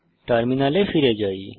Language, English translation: Bengali, Let us go back to the Terminal